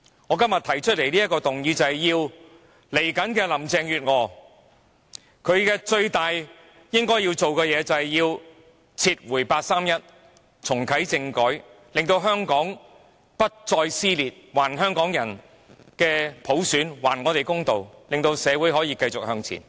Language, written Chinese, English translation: Cantonese, 我今天提出的這項議案要求下任特首林鄭月娥以撤回八三一決定和重啟政改作為她最重要的工作，令香港不再撕裂，還香港人普選，還香港人公道，令社會可以繼續向前。, The motion I introduce today is to urge the next Chief Executive Carrie LAM to place the withdrawal of the 31 August Decision and the reactivation of constitutional reform as her most important task so that Hong Kong will no longer be torn apart universal suffrage will be given back to Hong Kong people fairness will be given back to Hong Kong people and the society can move forward